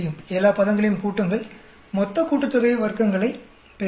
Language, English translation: Tamil, Then add up all the terms, I will get the total sum of squares